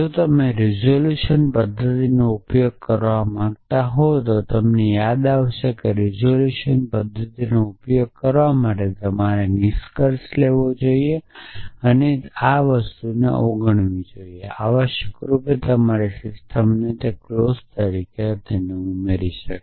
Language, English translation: Gujarati, And if you want use the resolution method you will recall that to use the resolution method you must take the conclusion and take it is negation and add it as a clause to your system essentially